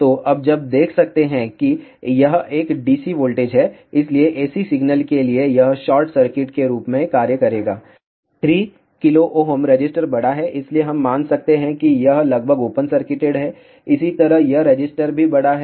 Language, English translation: Hindi, So, for AC signal this will act as a short circuit 3 k resistor is large, so we can assume this is to be approximately open circuited, similarly this resistor is also large